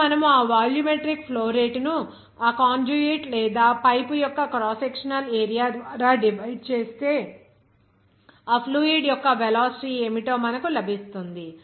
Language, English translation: Telugu, Now, if you divide this volumetric flow rate by its cross sectional area of that conduit or pipe, then you will get that what would be the velocity of that fluid